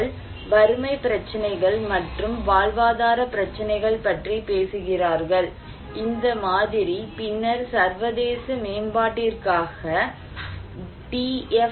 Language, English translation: Tamil, Well, they are talking about poverty issues and livelihood issues and which was this model was later on adopted by the DFID Department for international development